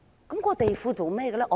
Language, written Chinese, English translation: Cantonese, 這個地庫有何用途？, What is the use of this basement?